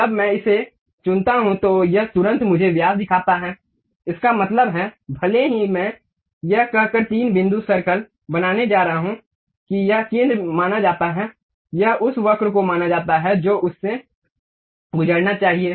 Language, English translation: Hindi, When I pick that, it immediately shows me diameter, that means, even though I am going to draw three point circle saying that this is supposed to be the center, this is supposed to the curve which supposed to pass through that